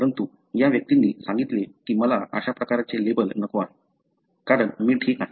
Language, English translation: Marathi, So, but these individuals said that I do not want that kind of label, because I am fine